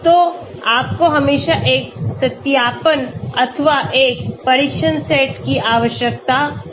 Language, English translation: Hindi, So you need to always have a validation or a test set